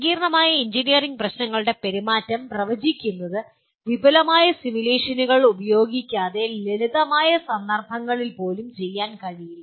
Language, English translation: Malayalam, And prediction of behavior of complex engineering problems generally cannot be done even in the simpler cases without using extensive simulation